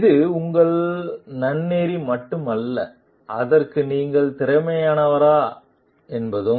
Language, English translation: Tamil, It is not only your ethical; but whether you are competent for it